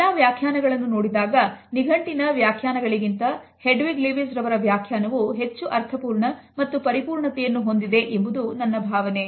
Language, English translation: Kannada, In all these definitions I think that the definition by Hedwig Lewis is by far more complete than the other dictionary definitions